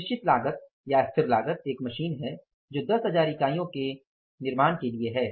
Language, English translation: Hindi, Fix cost is a machine for manufacturing means say 10,000 units